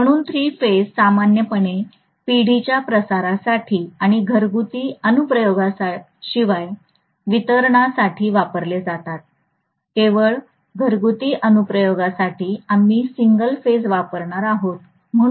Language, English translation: Marathi, So three phase is very very commonly used for generation transmission and as well as distribution except for domestic application, only for domestic application we are going to use single phase, right